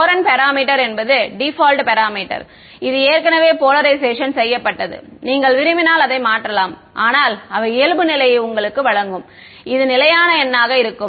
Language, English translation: Tamil, The Courant parameter is a default parameter that is already fixed in the simulation you can change it if you want, but the they give you a default which will be a stable number